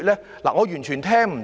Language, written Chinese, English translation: Cantonese, 主席，我完全聽不到。, President I have not heard anything at all